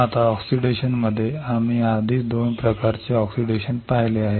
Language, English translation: Marathi, Now, in oxidation, we have already seen 2 types of oxidation